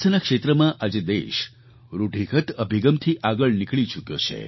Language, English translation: Gujarati, In the health sector the nation has now moved ahead from the conventional approach